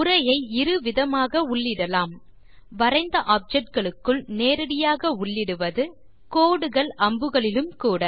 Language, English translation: Tamil, Text can be added in two ways: It can be directly inserted into a drawn object, Including on lines and arrows